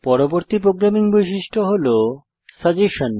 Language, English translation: Bengali, The next programming feature we will look at is suggestion